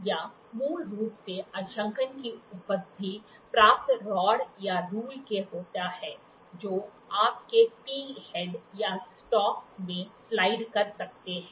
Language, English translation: Hindi, It basically consists of graduated rod or rules that can slide in your T headed or a stock